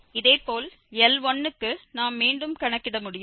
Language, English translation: Tamil, Similarly, for L 1 we can compute again